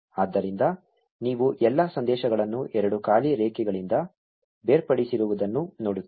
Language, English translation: Kannada, So, you see all the messages printed separated by two blank lines